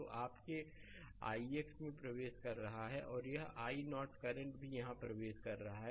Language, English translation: Hindi, So, this is your i x entering into and this i 0 current also entering here right